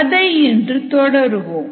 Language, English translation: Tamil, we will continue on that day